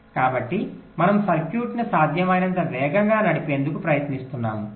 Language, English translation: Telugu, so we are trying to run a circuit as the fastest possible clock